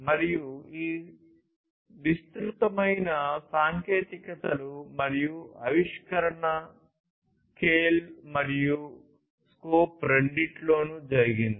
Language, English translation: Telugu, And this disruption and innovation has happened in both the scale and scope